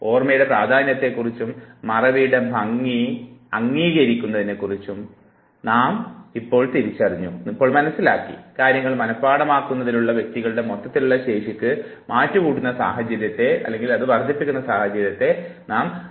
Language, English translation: Malayalam, Now realizing the importance of memory and also of course accepting the beauty of forgetting, all of us would always visualize of situation where the overall capacity of the individual to memorize things should multiply should increase